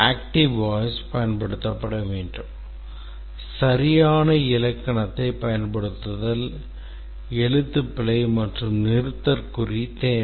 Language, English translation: Tamil, Active voice, use of active voice, use of proper grammar spelling and punctuation